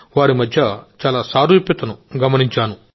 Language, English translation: Telugu, I saw a lot of similarity in both the states